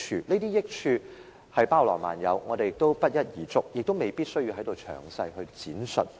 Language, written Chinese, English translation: Cantonese, 這些益處包羅萬有，不一而足，也未必有需要在此詳細闡述。, The gain can be in various forms and it is not necessary for me to describe them in detail here